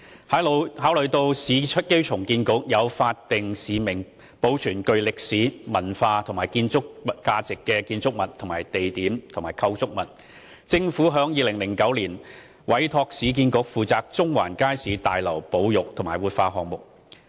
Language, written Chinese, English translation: Cantonese, 考慮到市區重建局有法定使命保存具歷史、文化或建築價值的建築物、地點及構築物，政府於2009年委託市建局負責中環街市大樓保育和活化項目。, In view of the statutory mission of the Urban Renewal Authority URA in preserving buildings sites and structures of historical cultural or architectural interest the Government entrusted URA in 2009 with the preservation and revitalization of the Central Market Building